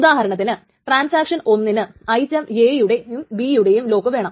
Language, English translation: Malayalam, Suppose transaction one wants a lock on item A and item B